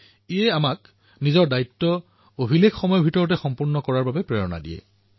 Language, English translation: Assamese, This also inspires us to accomplish our responsibilities within a record time